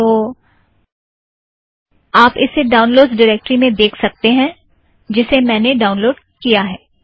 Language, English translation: Hindi, So you can see that this is the downloads directory in which I have downloaded